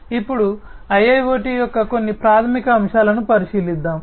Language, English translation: Telugu, So, let us now look at some of the fundamental aspects of IIoT